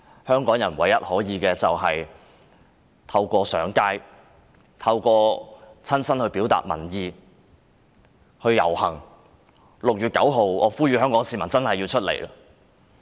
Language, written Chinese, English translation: Cantonese, 香港人唯一可以做的就是透過親身上街遊行表達民意，我呼籲香港市民務必在6月9日走出來。, The only thing Hongkongers can do is to express public opinions by personally taking to the streets . I call on the people of Hong Kong to come forward on 9 June